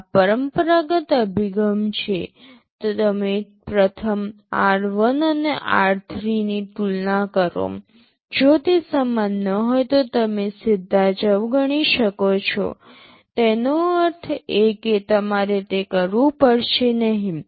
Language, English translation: Gujarati, This is the conventional approach, you first compare r1 and r3; if they are not equal you can straight away skip; that means, you have you do not have to do it